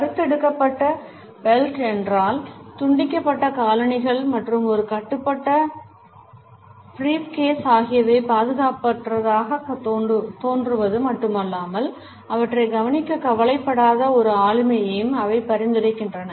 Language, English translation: Tamil, If belt which is frayed, shoes which are scuffed and a banded up briefcase not only look unkempt, but they also suggest a personality which is not bothered to look after them